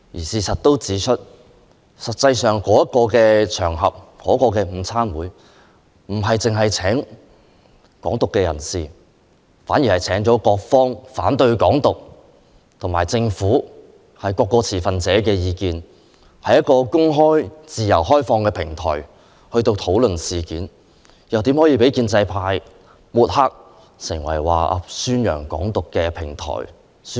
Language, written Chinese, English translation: Cantonese, 事實上，該午餐會不只邀請港獨人士發表演說，還邀請了反對港獨的人士、政府代表和各方持份者，是一個公開、自由開放的討論平台，豈可被建制派抹黑為宣揚港獨的平台？, In fact the luncheon did not only invite the advocate of Hong Kong independence but also its opponents government representatives and other stakeholders . How could such an open and free discussion platform be smeared as a platform advocating Hong Kong independence?